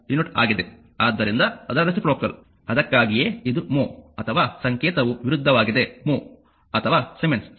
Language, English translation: Kannada, So, it is reciprocal of that that is why it is mean mho or symbol is also just opposite right or siemens